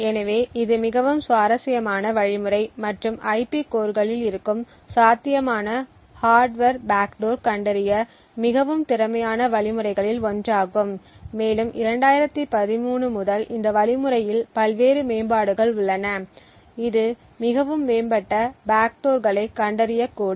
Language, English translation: Tamil, So, this is a very interesting algorithm and one of the most efficient algorithms to detect potential hardware backdoors present in IP cores and there have been various improvements over this algorithm since 2013, which could detect more advanced backdoors